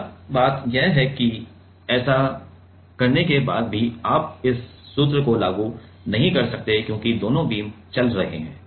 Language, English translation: Hindi, Now, the point is, but after doing that also you cannot apply this formula because both the beams are, both the beams are moving